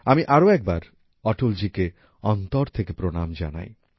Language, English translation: Bengali, I once again solemnly bow to Atal ji from the core of my heart